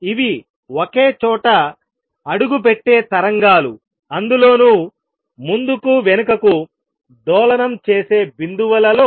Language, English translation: Telugu, These are waves that just step out at one place in the points oscillating back and forth